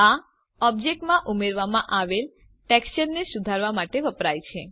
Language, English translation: Gujarati, This is used to modify the texture added to an object